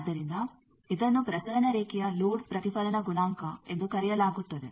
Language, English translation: Kannada, So this is called Load Reflection coefficient of a transmission line